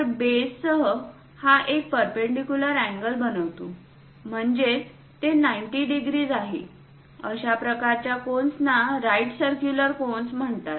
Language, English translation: Marathi, So, this one with the base it makes perpendicular angle; that means it is 90 degrees, such kind of cones are called right circular cones